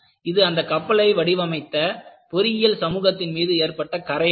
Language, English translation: Tamil, It is really a sort of a blot on the engineering community which designed it